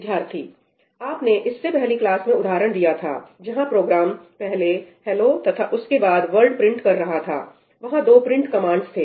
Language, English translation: Hindi, You gave an example in the previous class where the program printed ‘hello’ and then ‘world’ when there were two print commands